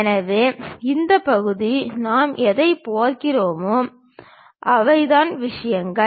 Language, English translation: Tamil, So, this part whatever we are seeing, these are the things